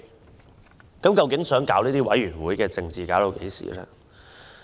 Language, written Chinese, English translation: Cantonese, 政府究竟想玩弄委員會政治到何時？, When will the Government stop manipulating the committee politics?